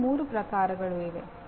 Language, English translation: Kannada, There are three